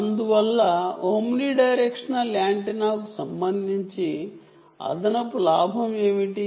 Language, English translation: Telugu, and therefore, with respect to the omni directional antenna, what is the additional gain